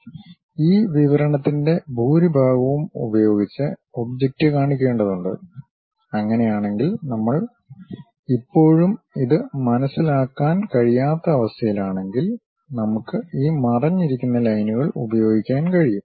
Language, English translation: Malayalam, So, the object has to be shown with most of this description; if that is we are still in not in a position to really sense that, then we can use these hidden lines